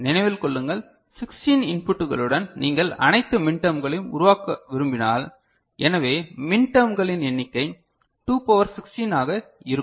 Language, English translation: Tamil, Remember, with 16 inputs if you want to generate all the minterms, so number of min terms would be 2 to the power 16 ok